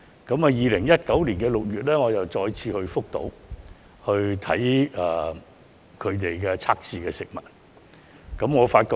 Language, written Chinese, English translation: Cantonese, 我在2019年6月再次前往福島視察當地測試食物。, In June 2019 I went to Fukushima again to inspect the food testing mechanism there